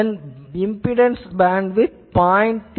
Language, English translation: Tamil, Its bandwidth it is 0